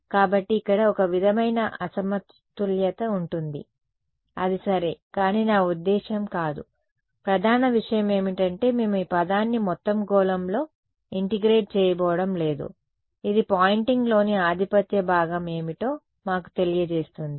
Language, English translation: Telugu, So, there will be some sort of mismatch over here that is ok, but we are not I mean the main point is we are not going to integrate this term over the whole sphere this is just telling us what is the dominant part of the Poynting vector what is the main contribution to Poynting vector in the near field